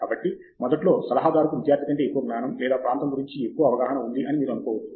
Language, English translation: Telugu, So, initially you might think that the advisor has more knowledge or more awareness of the area than a student